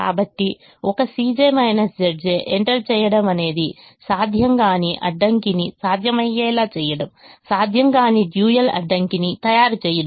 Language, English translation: Telugu, so entering a positive c j minus z j is the same as making an infeasible constraint feasible, making an infeasible dual constraint feasible